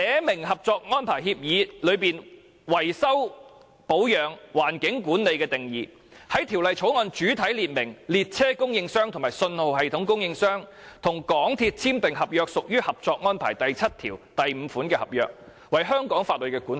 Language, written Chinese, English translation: Cantonese, 例如《合作安排》下維修保養、環境管理的定義，在《條例草案》主體列明列車供應商及信號系統供應商與港鐵公司簽訂的合約，屬於《合作安排》第七5條所述的合約，為香港法律管轄。, Such as clarifying the definitions of repair and maintenance and environmental regulation and control under the Co - operation Arrangement as well as stating in the main body of the Bill that the contracts signed between the train and signal system suppliers and MTRCL shall belong to contracts under Article 75 of the Co - operation Arrangement that is to say they are under Hong Kongs jurisdiction